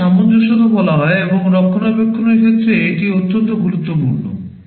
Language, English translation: Bengali, This is called compatibility and it is very important with respect to maintainability